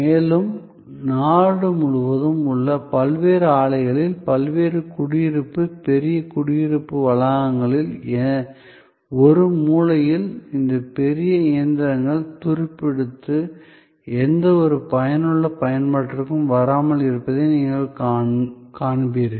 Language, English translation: Tamil, And at various plants across the country, at various residential, large residential complexes, you will find that at one corner there is this huge heap of old machines rusting away, not coming to any productive use